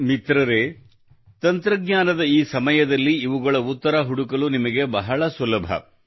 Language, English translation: Kannada, Friends, in this era of technology, it is very easy for you to find answers to these